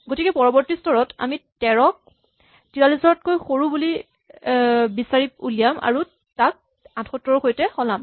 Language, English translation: Assamese, So, our next step is to identify 13 as smaller than 43 and swap it with 78